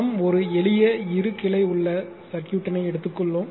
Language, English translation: Tamil, We have taken a simple two branch circuit right